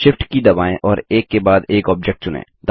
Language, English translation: Hindi, Press the Shift key and slect the object one after another